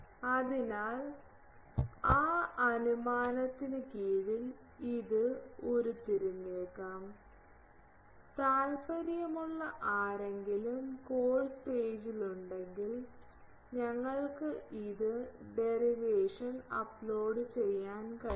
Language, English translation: Malayalam, So, under that assumption it can be derived, if anyone interested we see in the may be in the course page we can upload this the derivation